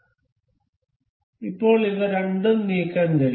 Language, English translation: Malayalam, So, now both both of them can be moved